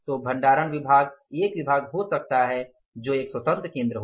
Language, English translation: Hindi, So, storage department can be the one department which can be the one independent center